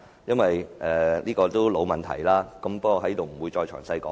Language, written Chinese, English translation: Cantonese, 這是個老問題，我不會在此贅述。, This is the same old problem which I will not repeat here